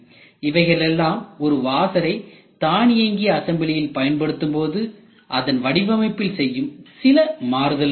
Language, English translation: Tamil, So, these are some of the design changes which are made in the washer itself when we use it for automatic assembly